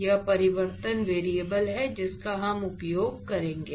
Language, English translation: Hindi, So, this is the transformation variable that we will use